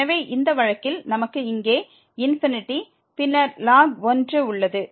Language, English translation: Tamil, So, in this case we have the infinity here and then ln 1 so 0